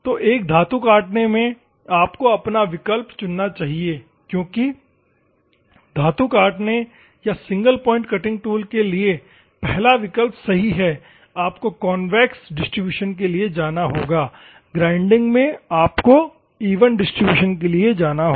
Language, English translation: Hindi, So, in a metal cutting, you should your option should be the first one that is for metal cutting or single point cutting tool, you have to go for convex distribution in the grinding, you have to go for even distribution